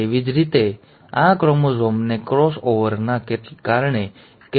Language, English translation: Gujarati, Similarly, this chromosome has received some information due to the cross over